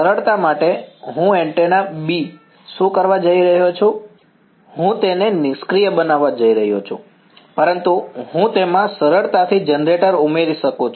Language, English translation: Gujarati, For simplicity, what I am going to do is the antenna B, I am just going to make it passive ok, but I can easily add a generator to it ok